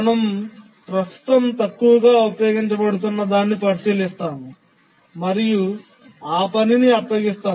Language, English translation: Telugu, We look at the one which is currently the least utilized and then assign the task to that